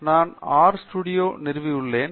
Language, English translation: Tamil, So, I have R studio installed